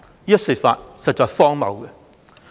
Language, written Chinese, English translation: Cantonese, 這說法實在荒謬。, This assertion is honestly absurd